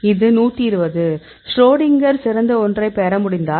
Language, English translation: Tamil, So, this is a 120; so if the Schrodinger could get the best one